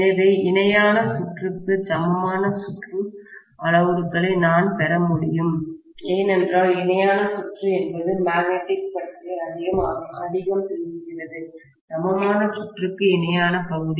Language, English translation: Tamil, So, I should be able to get rest of the equivalent circuit parameters in the parallel circuit because the parallel circuit is the one which is talking so much about magnetism, the parallel portion of the equivalent circuit